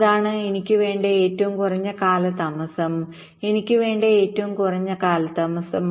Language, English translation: Malayalam, that is the maximum delay, i want the minimum delay i want